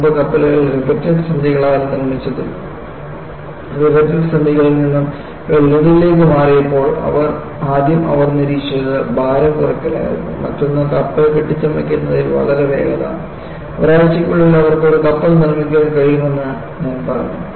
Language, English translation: Malayalam, Because previously ships were made of riveted joints and when they moved over from riveted joints to welding, first thing they observed was, there was weight reduction; very quick in fabricating the ship; I was told that, within a week they could fabricate one ship